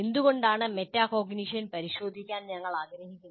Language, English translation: Malayalam, And why we can consider why we want to examine metacognition